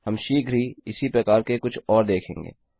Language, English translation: Hindi, Well see a few more of these soon